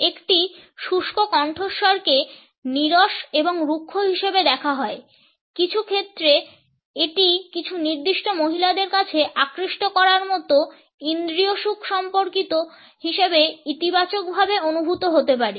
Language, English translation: Bengali, A husky voice is understood as dry and rough, in some cases it can also be perceived positively as being seductively sensual in the context of certain women